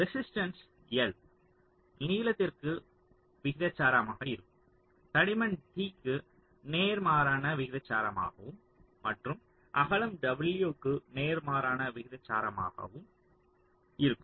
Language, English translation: Tamil, so resistance will be proportional to l, the length, it will be inversely proportional to the thickness, t, and also inversely proportional to the width, w